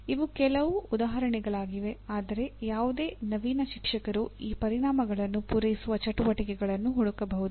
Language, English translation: Kannada, These are some examples, but any innovative teacher can find activities that would meet these outcomes